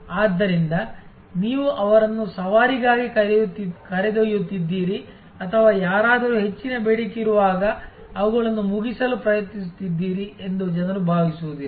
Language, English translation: Kannada, So, that people do not feel that you are taking them for a ride or trying to finishing them when somebody’s in great demand